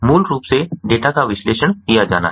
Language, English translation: Hindi, so basically, the data has have to be analyzed